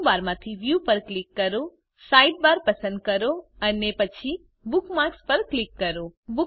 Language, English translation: Gujarati, From Menu bar, click View, select Sidebar, and then click on Bookmarks